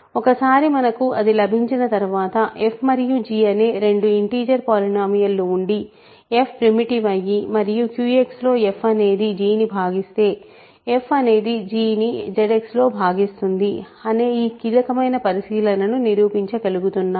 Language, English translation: Telugu, Once we have that, we are able to prove this very crucial observation that if you have two integer polynomials f and g, and f is primitive and f divides g in Q X f divides g in Z X